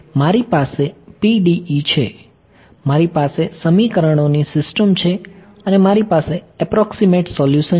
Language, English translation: Gujarati, I have the PDE s, I have a system of equations and I have an approximate solution what other things can you think of